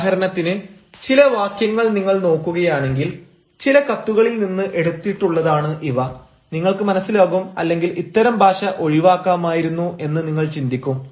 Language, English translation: Malayalam, for example, if you look at some of these sentences which have been taken from some of the letters, you will find and you will rather ah think that such a [la/language] language should have been avoided